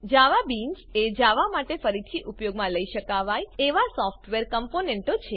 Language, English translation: Gujarati, JavaBeans are reusable software components for Java